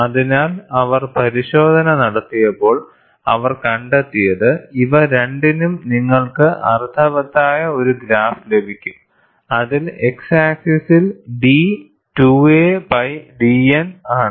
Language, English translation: Malayalam, So, when they performed the test, what they found was, for both of these, you could get a meaningful graph, wherein, the x axis is d 2 a by d N